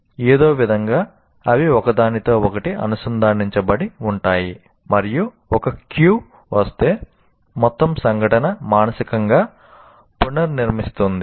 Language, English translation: Telugu, Somehow they are connected to each other and if anyone is like one cue comes, then the entire event somehow mentally gets recreated